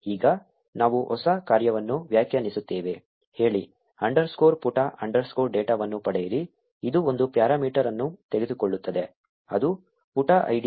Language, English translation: Kannada, Now we define a new function, say, get underscore page underscore data, which takes one parameter, which is the page id